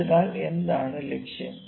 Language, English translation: Malayalam, So, what is the target